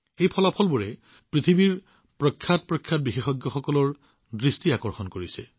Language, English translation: Assamese, These results have attracted the attention of the world's biggest experts